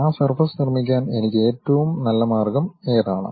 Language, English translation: Malayalam, What is the best way I can really construct that surface